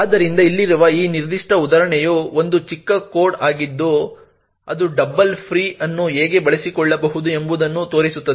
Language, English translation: Kannada, So this particular example over here is a very small code which shows how one could exploit a double free